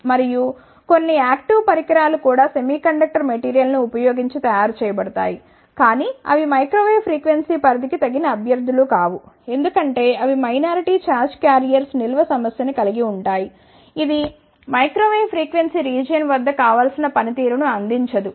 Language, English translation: Telugu, And, few of the active devices are also made using the semiconductor material , but they are not suitable candidates for the microwave frequency series, because they suffers with the a problem of ah minority charge carriers storage, which will not provide the desirable performance at the microwave frequency region